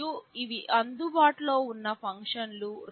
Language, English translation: Telugu, And these are the functions that are available